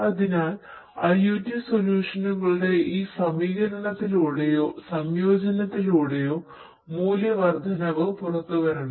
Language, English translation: Malayalam, So, value addition should come out through this incorporation or integration of IoT solutions